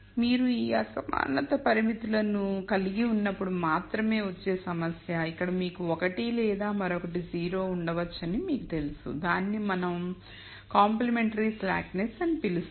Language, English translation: Telugu, The only complication comes in when you have these inequality constraints where either you know you have can have one or the other be 0 that is what we call as complementary slackness